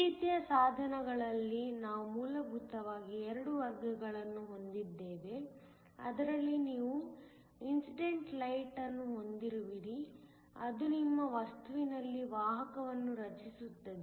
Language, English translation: Kannada, In these kinds of devices, we have essentially 2 categories, one where you have an incident light, which then create carriers in your material